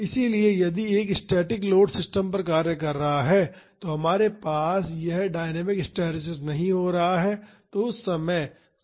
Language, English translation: Hindi, So, if a static load is acting on the system, then we will not have this dynamic hysteresis happening